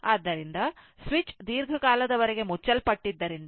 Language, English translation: Kannada, So, as switch is closed for long time